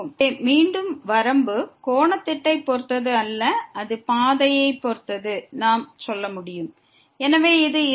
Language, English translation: Tamil, So, again the similar situation that the limit depends on the angle theta or it depends on the path, we can say and hence this does not exist